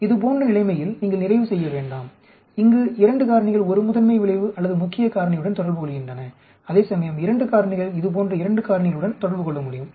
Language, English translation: Tamil, That you do not end up situation like this, where a two factors interacting with a principle effect or main factor, whereas two factor can interact with 2 factor like this